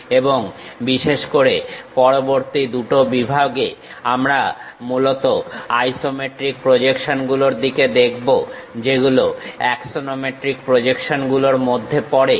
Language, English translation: Bengali, And specifically in the next two two sections, we will look at isometric projections mainly; these come under axonometric projections